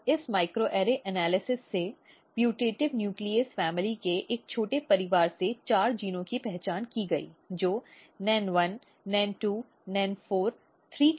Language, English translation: Hindi, And from this microarray analysis there were four genes very small family of putative nuclease family of genes we are identified which was NEN1, NEN2, NEN4, 3 we are showing here